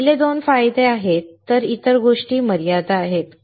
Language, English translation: Marathi, So, first 2 are the advantages other things are the limitations